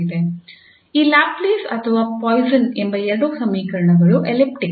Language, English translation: Kannada, So these both equations the Laplace or Poisson are elliptic